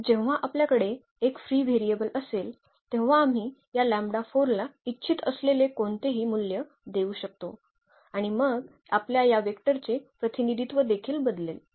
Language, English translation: Marathi, So, when we have a free variable we can assign any value we want to this lambda 4 and then our representation of this given vector will also change